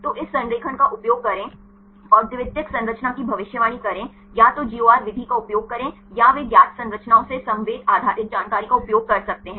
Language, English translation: Hindi, So, use this alignment and predict the secondary structure either the use the GOR method or they can use the ensemble based information from known structures